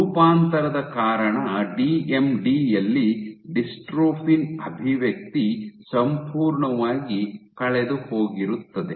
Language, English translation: Kannada, In DMD due to mutation dystrophin expression is completely gone